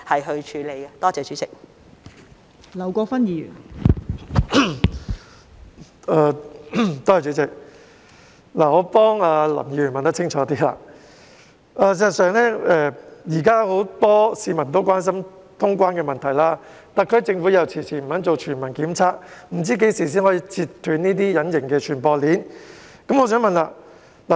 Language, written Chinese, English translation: Cantonese, 代理主席，我想替林議員問清楚，現時很多市民關心通關問題，特區政府又遲遲不肯進行全民檢測，不知何時才能截斷隱形傳播鏈。, Deputy President I would like to find out more about the issue for Mr LAM . Many people are very concerned about the cross - boundary flow of people . The SAR Government has been reluctant to conduct universal testing and we do not know when the invisible transmission chain can be severed